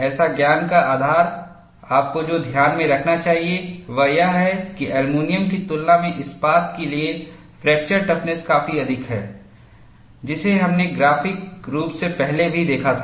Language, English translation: Hindi, So, the knowledge base, what you should keep in mind is, fracture toughness for steel is quite high in comparison to aluminum, which we had seen graphically also earlier